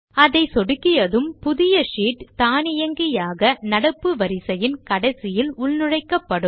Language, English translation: Tamil, On clicking it a new sheet gets inserted automatically after the last sheet in the series